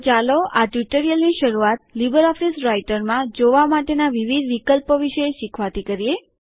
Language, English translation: Gujarati, So let us start our tutorial by learning about the various viewing options in LibreOffice Writer